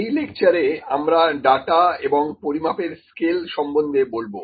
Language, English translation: Bengali, So, in this lecture, I will take what is data and what are the scales of measurement